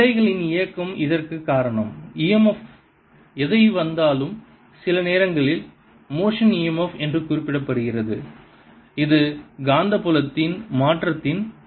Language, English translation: Tamil, whatever e m f comes is sometimes referred to as motional e m f and this is due to the change in magnetic field